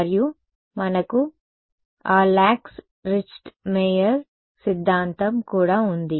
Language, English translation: Telugu, And, we have that Lax Richtmyer theorem as well